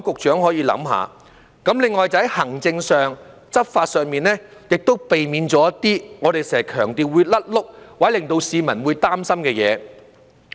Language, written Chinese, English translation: Cantonese, 此外，在行政及執法上，亦應避免一些我們經常強調會"甩轆"或令市民會擔心的事。, Furthermore in terms of execution and enforcement the authorities should as we often emphasize avoid blunders and issues that will give rise to public concern